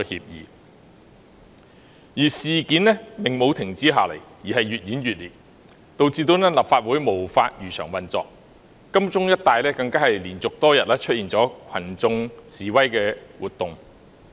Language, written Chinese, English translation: Cantonese, 然而，事件沒有停止下來，反而越演越烈，導致立法會無法如常運作，金鐘一帶更連續多天出現群眾示威活動。, However the incident did not come to a halt . Rather it became increasingly intense causing the Legislative Council to be unable to operate as normal . Mass demonstrations took place in the Admiralty area in a row for days